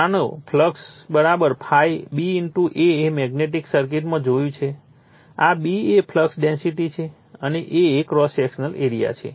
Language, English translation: Gujarati, You know flux = B * A you have seen in a magnetic circuit this is B is the flux density and A is the cross sectional area